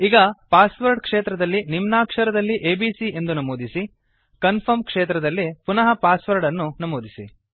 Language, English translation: Kannada, Now, in the Password field, lets enter abc, in the lower case, and re enter the password in the Confirm field